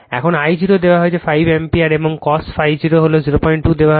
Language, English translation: Bengali, Now, I 0 is given 5 ampere and cos phi 0 is 0